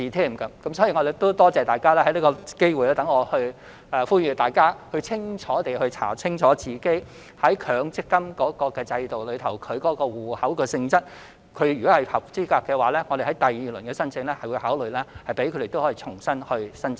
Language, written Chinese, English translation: Cantonese, 因此，我感謝大家，讓我藉此機會呼籲各位市民，要查清楚他們在強積金制度下的戶口性質，如果符合資格，我們在第二輪申請時會考慮讓他們重新申請。, Thus I thank Members for giving me this opportunity to urge members of the public to find out the nature of their accounts under the MPF system . If they are eligible to apply for the subsidy we will consider allowing them to do so in the second round